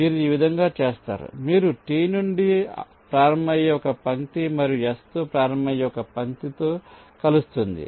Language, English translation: Telugu, you do in this way and you will reaches stage where some line starting with from t and some line starting with s will intersect